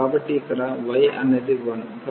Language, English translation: Telugu, So, here y is 1